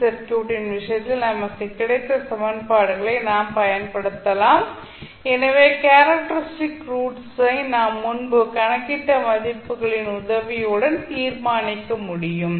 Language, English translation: Tamil, We can apply the equations which we got in case of Parallel RLC Circuit, so characteristic roots we can simply determined with the help of the values which we calculated previously